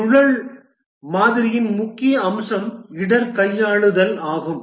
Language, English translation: Tamil, The main feature of the spiral model is risk handling